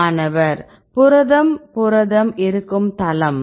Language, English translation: Tamil, Site where protein protein